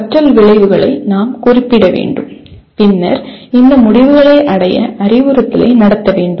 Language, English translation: Tamil, We have to state the learning outcomes and then conduct the instruction to attain these outcomes